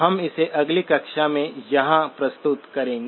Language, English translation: Hindi, We will pick it up form here in the next class